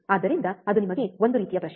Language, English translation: Kannada, So, that is the kind of question for you